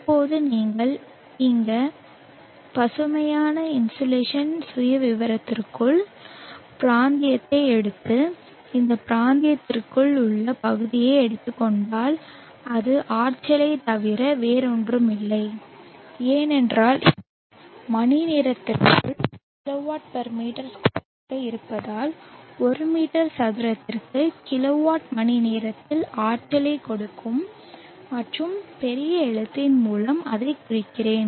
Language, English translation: Tamil, Now if you take the region within this green insulation profile and take the area within this region it is nothing but the energy because it is the kw/m2 into the time in hours will give you the energy in kilowatt hour’s kw/m2 and let me denote that by uppercase H